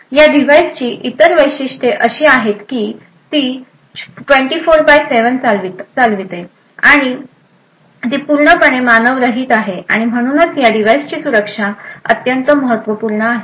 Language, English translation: Marathi, Other features of these devices is that it has to operate 24 by 7 and it is completely unmanned and therefore the security of these devices are extremely important